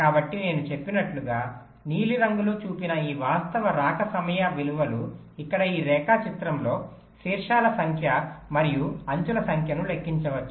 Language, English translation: Telugu, so, as i said this, all actual arrival time values shown in blue here in this diagram can be computed in order: number of vertices plus number of edges